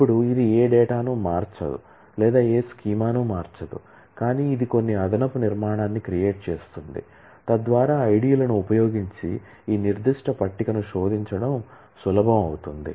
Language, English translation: Telugu, Now, this does not change any data neither does it change any schema, but it creates certain additional structure so that it becomes easier to search this particular table using IDs